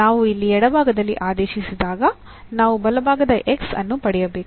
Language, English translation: Kannada, So, when we substitute here in the left hand side, this we should get the right hand side X